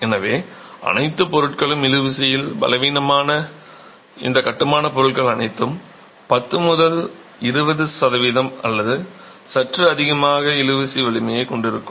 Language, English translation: Tamil, So, fairly all materials, all these construction materials which are weak intention would have a tensile strength of the order of 10 to 20 percent or slightly higher